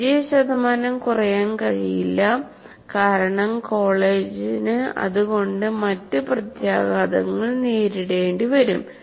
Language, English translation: Malayalam, Past percentages cannot come down because then the college will have to face some other consequences